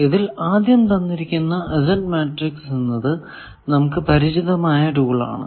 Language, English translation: Malayalam, Now, this is the first that obviously, Z matrix incidence matrix is a popular tool